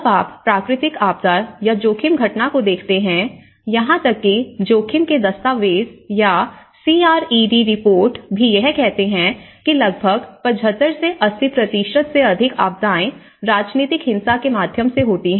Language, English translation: Hindi, When you look at the natural disasters phenomenon or the risk phenomenon, even from the document of at risk or the CRED reports, it says almost more than 75% to 80% of the disasters are through the political violence